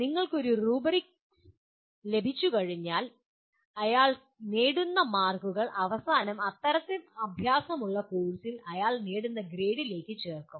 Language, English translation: Malayalam, Once you have a rubric for that the marks that he gain should finally get added to the grade that he gets in that course in which such an exercise is included